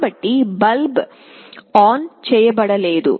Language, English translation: Telugu, So, the bulb is not switched on